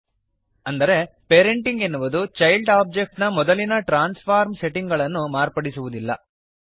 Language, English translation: Kannada, This means that parenting does not change the original transform settings of the child object